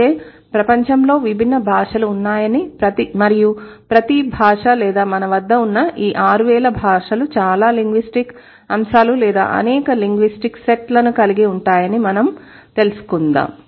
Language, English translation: Telugu, So, uh, then that's okay realize that there are different languages in the world and each language or the 6,000 languages that we have at our disposal is going to have many, many linguistic items or many, many linguistic sets